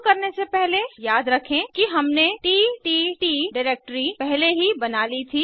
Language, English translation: Hindi, Before we begin, recall that we had created ttt directory earlier